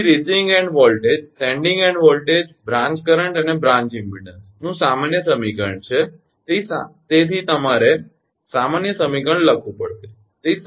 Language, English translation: Gujarati, therefore a generalized equation of receiving in voltage, sending in voltage, branch current and branch impedance is: therefore you have to write a generalized equation